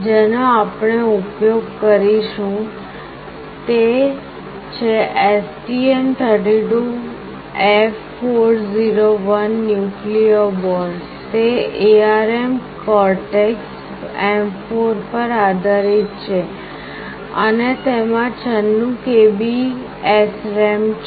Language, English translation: Gujarati, The one we will be using is STM32F401 Nucleo board, it is based on ARM Cortex M4, and it has got 96 KB of SRAM